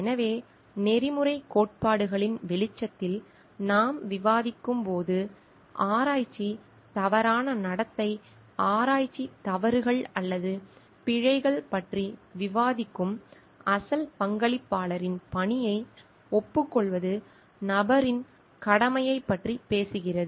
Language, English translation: Tamil, So, when we are discussing in light of the ethics theories, it talks of more of the duty of the person to acknowledge the work of the original contributor where we are discussing research misconduct, research mistakes or errors